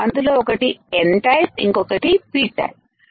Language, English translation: Telugu, There is a N type and there is P type